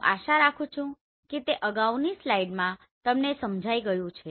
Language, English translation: Gujarati, I hope it is understood in the previous slide